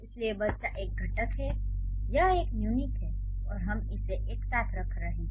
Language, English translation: Hindi, So, that is why the child is a constituent, it's a unit and we are putting it under one head